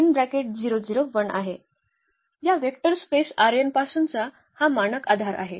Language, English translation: Marathi, These are the standard basis from this vector space R n